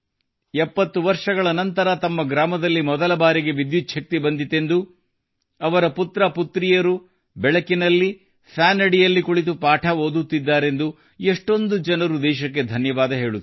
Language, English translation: Kannada, Many people are thankful to the country that electricity has reached their village for the first time in 70 years, that their sons and daughters are studying in the light, under the fan